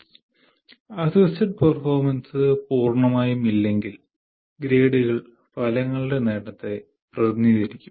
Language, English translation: Malayalam, If it is 1, that means if assisted performance is totally absent, then the grades will represent the attainment of outcomes, not otherwise